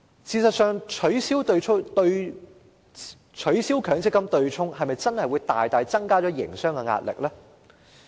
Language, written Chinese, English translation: Cantonese, 事實上，取消強積金對沖機制是否真的會大大增加營商壓力？, In fact will the abolition of the MPF offsetting mechanism add substantial pressure to business operation?